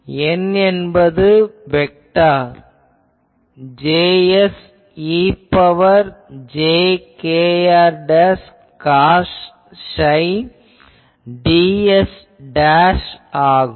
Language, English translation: Tamil, This N is a vector, it is J s e to the power jkr dash cos psi ds dashed